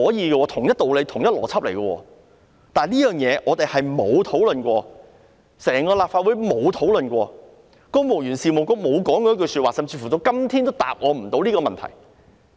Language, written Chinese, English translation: Cantonese, 這是同一道理、同一邏輯，但這事從來沒有討論過，整個立法會從未討論過，公務員事務局沒有說過一句話，甚至到今天都無法回答我這個問題。, This could be done on the same ground with the same logic . But never has this been discussed before; nor has it ever been discussed by the Legislative Council . The Civil Service Bureau has not said a word about it and it has not answered my question even up to this day